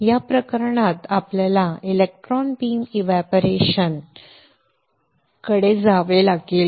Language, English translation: Marathi, In this case we have to go for electron beam evaporator alright electron beam operator